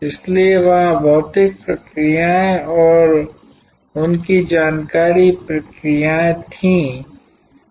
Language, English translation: Hindi, So, there were physical processes and their where information processes